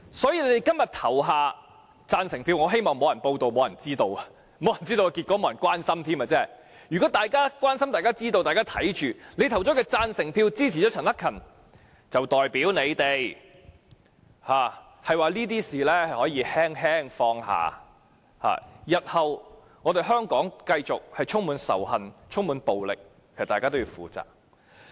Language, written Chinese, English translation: Cantonese, 所以，如果大家今天投下贊成票，我希望會沒人報道、沒人知道、沒人關心，因為一旦有人關心、知道、看着會議進行，你們投票支持陳克勤議員的行動便代表你們認為這些事情可以輕輕放下，香港日後如繼續充滿仇恨、充滿暴力，大家便需要負責。, Therefore if Members vote for this motion today I hope no one will report be aware of or be concerned about the matter because if people are concerned about aware of and keeping their eyes on what we are doing here today your decision to vote for Mr CHAN Hak - kans proposal will be a gesture to show your readiness to let such matters off lightly . If Hong Kong remains a place full of hatred and violence in the days to come Members of this Council should be held responsible